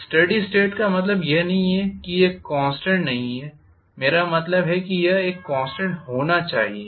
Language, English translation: Hindi, Steady state does not mean it is not a I mean it should be a constant